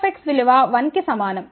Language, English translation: Telugu, C 0 x is equal to 1